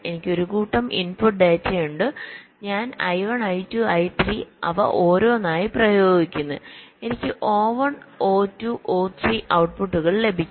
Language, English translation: Malayalam, so i have a set of input data, i apply them one by one i one, i two, i three and i get the outputs: o one, o two o three